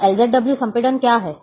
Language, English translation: Hindi, So, what is LZW compression